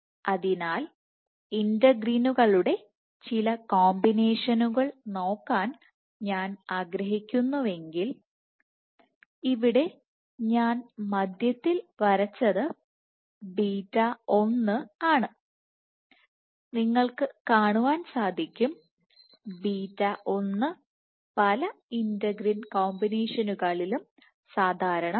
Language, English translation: Malayalam, So, if I want to look at some of the combinations of integrins, so here I have drawn in the center is beta 1 and what you see is beta 1 is common to many of the integrin combinations